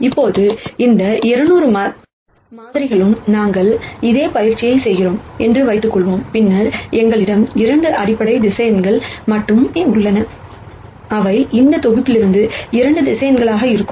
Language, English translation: Tamil, Now, let us assume we do the same exercise for these 200 samples and then we nd that, we have only 2 basis vectors, which are going to be 2 vectors out of this set